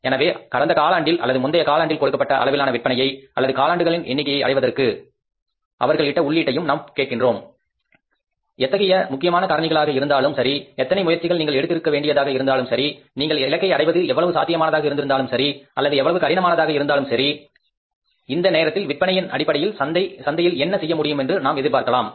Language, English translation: Tamil, So, we seek their input also that in the past achieving that given level of sales in the previous quarter or maybe a number of quarters, what were the important factors, what efforts you had to make, how feasible it was for you to achieve the target or how difficult was it and in the time to come what we can expect to perform in the market in terms of the sales